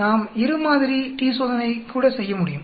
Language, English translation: Tamil, We can also do a two sample t Test